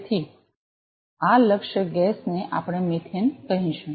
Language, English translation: Gujarati, So, this target gas could be let us say methane right